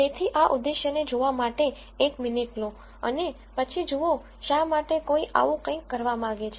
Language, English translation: Gujarati, So, take a minute to look at this objective and then see why someone might want to do something like this